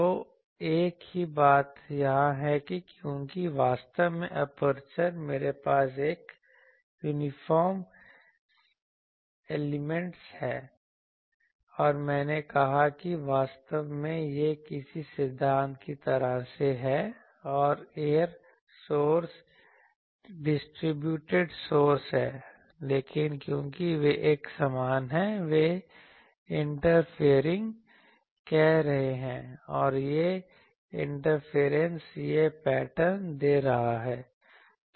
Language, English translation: Hindi, So, the same thing here because actually this aperture, I am having an uniform illumination and I said that actually this is something like any theory that error sources distributed sources, but since their uniform; they are interfering and that interference is giving this pattern